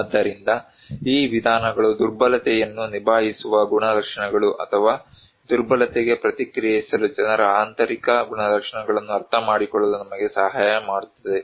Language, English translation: Kannada, So, these approaches can help us to understand the coping characteristics or internal characteristics of people to respond vulnerability